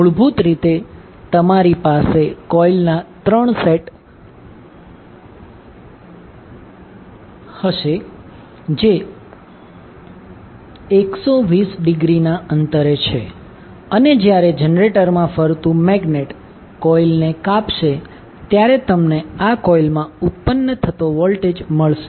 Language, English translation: Gujarati, So, basically you will have 3 sets of coils which are 120 degree apart and when the magnet which is rotating in the generator will cut the coils you will get the voltage induced in these coils